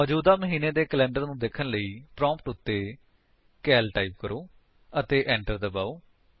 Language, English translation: Punjabi, To see the current months calendar, type at the prompt: cal and press Enter